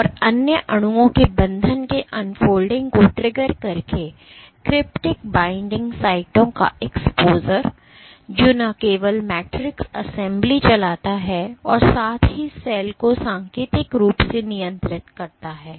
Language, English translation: Hindi, And exposure of cryptic binding sites by unfolding triggers binding of other molecules, which drives not only matrix assembly as well as regulates cell signally